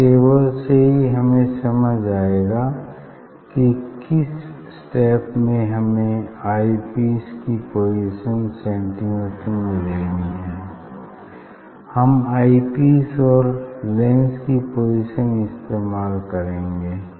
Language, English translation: Hindi, From table itself you can understand that is in which step we should follow position in centimeter of eye piece, we will use eye piece and lens position